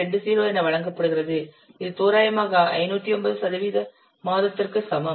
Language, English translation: Tamil, This is equal to 509 percent month approximately